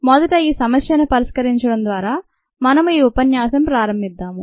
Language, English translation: Telugu, we will start this lecture by solving this problem first